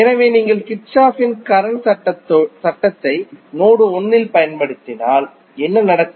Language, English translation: Tamil, So, if you apply Kirchhoff’s Current Law at node 1, what will happen